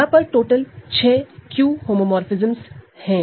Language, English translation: Hindi, So, remember it is supposed to be a Q homomorphism